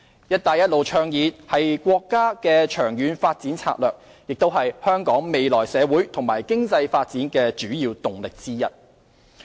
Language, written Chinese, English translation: Cantonese, "一帶一路"倡議是國家的長遠發展策略，也是香港未來社會和經濟發展的主要動力之一。, The Belt and Road Initiative is the long - term development strategy of the country which will be the major impetus for social and economic development of Hong Kong in future